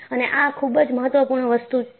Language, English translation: Gujarati, And, this is very important